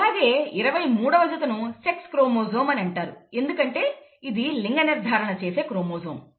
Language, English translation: Telugu, And the 23rd pair is called the sex chromosome because it determines sex of the person